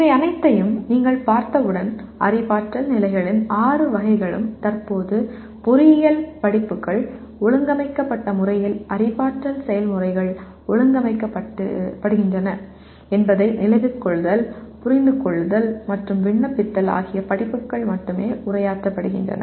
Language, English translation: Tamil, And once you look at all these, all the six categories of cognitive levels the way presently the engineering courses are organized the cognitive processes Remember, Understand and Apply are the only one that are addressed through courses